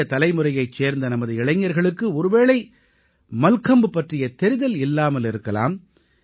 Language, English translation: Tamil, However, probably our young friends of the new generation are not that acquainted with Mallakhambh